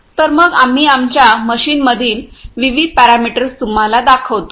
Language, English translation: Marathi, So, some let us show you the various parameters in our machine ok